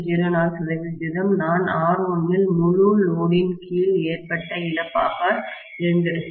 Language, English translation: Tamil, 04 percent of what I would have incurred in R1 as the loss under full load conditions